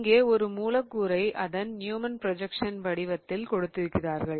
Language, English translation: Tamil, So, what they have done is they have given the molecule in the form of a Newman projection